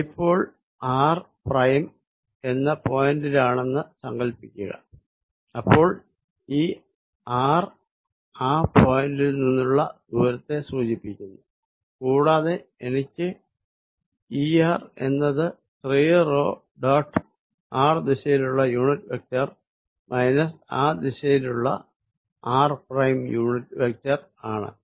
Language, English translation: Malayalam, If the dipole is at let us say r prime some point r prime, then this r would represent the distance from that point and I am going to have E at r is going to be 3 p dot unit vector in the direction of r minus r prime unit vector in that direction